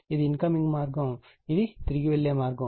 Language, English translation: Telugu, This is incoming path; this is return path